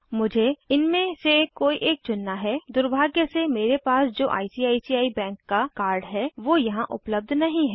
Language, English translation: Hindi, I need to choose one of these, unfortunately the card that i have namely ICICI bank card is not here